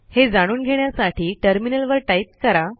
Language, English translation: Marathi, Lets try this on the terminal